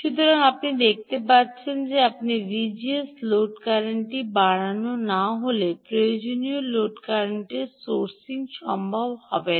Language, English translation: Bengali, so you can see that unless you increase v g s, the load current, ah, a sourcing the required load current will not, will not be possible